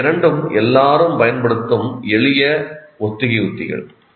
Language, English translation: Tamil, These two are very familiar rehearsal strategies everybody uses